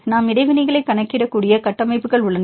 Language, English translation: Tamil, We have the structures we can calculate the interactions